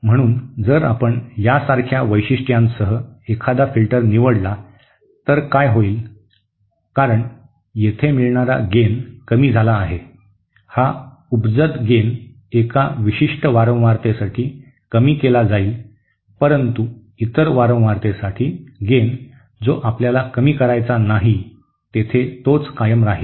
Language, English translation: Marathi, So if we choose a filter with a characteristics like this, what will happen is because the gain is low over here, this gain the inherent gain at a particular frequency will be brought down while the gain at the other frequency when we donÕt want it to be attenuated will continue remaining the same